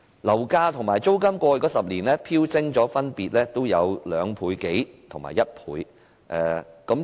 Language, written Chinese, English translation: Cantonese, 樓價和租金在過去10年分別飆升2倍多和1倍。, There has been a sharp rise in flat prices and rentals by more than 200 % and 100 % respectively over the past 10 years